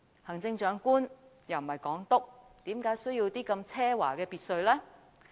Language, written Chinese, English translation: Cantonese, 行政長官又不是港督，為何需要這麼奢華的別墅呢？, The Chief Executive is not the Governor so why does he need such an extravagant villa?